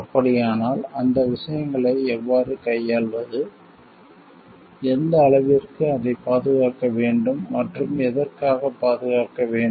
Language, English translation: Tamil, So, how to deal with those things, to what extent to protect it and like what all to protect for